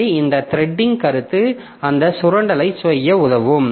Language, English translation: Tamil, So, this threading concept will help us in doing that exploitation